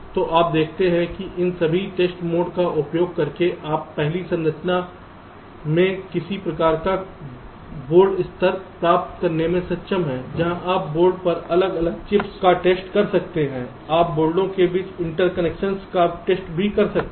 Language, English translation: Hindi, so you see that here, using all these test modes, your able to, ah, get a some kind of a board level in first structure where you can test the individual chips on the board